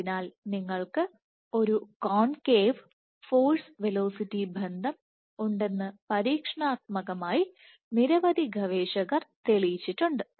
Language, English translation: Malayalam, So, experimentally it has been demonstrated by several researchers that you might have a concave force velocity relationship